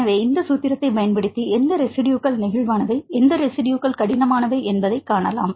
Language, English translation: Tamil, So, using this formula you can see which residues are flexible and which residues are rigid